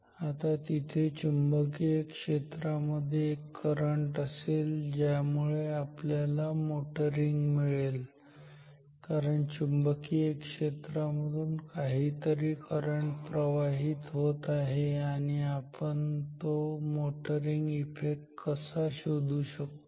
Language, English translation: Marathi, Now there is a current in a magnetic field which means we will also have the motoring effect, because there is some current flowing in a magnetic field and how can we find the motoring effect